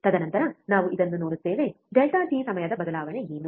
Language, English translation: Kannada, And then we see this what is the change in time that is delta t